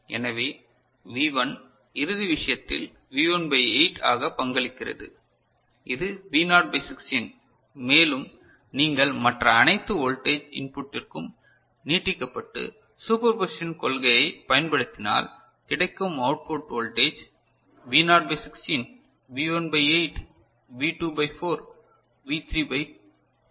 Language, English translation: Tamil, So, V1 contributes as V1 by 8 in the final thing and this is V naught by 16 and if you extend for all the other voltage input and use principle of superposition you have this output voltage as V naught by 16, V1 by 8, V2 by 4, V3 by 2